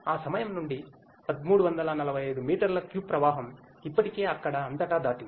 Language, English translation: Telugu, From that point forwards 1345 meter cube of flow has already been passed throughout there